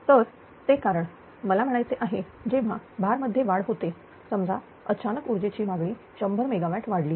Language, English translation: Marathi, So, they because I mean when the load is increased suppose ah all of a sudden the power demand has increase 100 megawatt